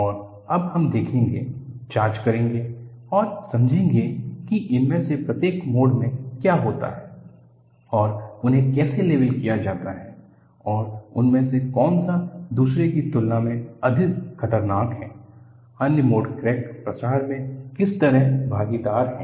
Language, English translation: Hindi, And, what we would see now is, we would go and investigate and understand, what happens in each of these modes and how they are labeled and which one of them is more dangerous than the other, what way the other modes play in crack propagation